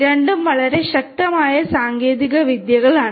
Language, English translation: Malayalam, Both are very powerful technologies